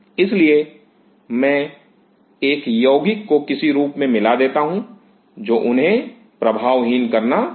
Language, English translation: Hindi, So, I introduce some form of a compound which will start to nullify them